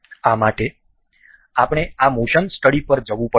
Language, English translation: Gujarati, For this, we will have to go this motion study